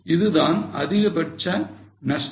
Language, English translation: Tamil, Maximum loss is this